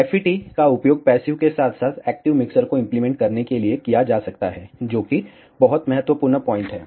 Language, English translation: Hindi, FET can be used to implement passive as well as active mixers, ah which is the very important point